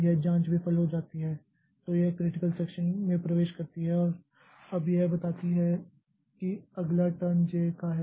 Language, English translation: Hindi, This check fails, it enters into the critical section and now it tells that the next turn is of J